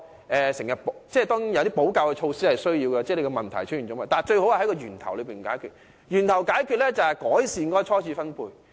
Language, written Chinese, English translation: Cantonese, 當然，問題出現後，我們有需要採取補救措施，但最好是在源頭解決問題，而方法就是改善初次分配。, Of course when problem arises we need to take remedial measures . The best way however is to address the issue at source and this is about improving primary distribution of wealth